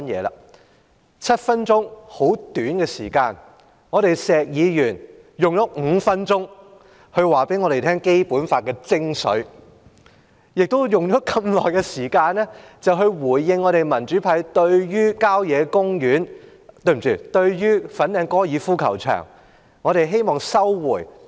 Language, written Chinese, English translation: Cantonese, 在短短7分鐘的發言時間，石議員用了5分鐘向我們講解《基本法》的精髓，同時回應民主派有關收回粉嶺高爾夫球場的要求。, During the short period of seven minutes speaking time Mr SHEK used five minutes to explain to us the essence of the Basic Law and also respond to the demand of the democratic camp for resuming the site of the Fanling Golf Course